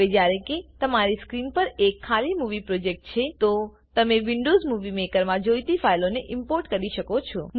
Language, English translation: Gujarati, Now that you have an empty movie project on your screen, you can import the files you require into Windows Movie Maker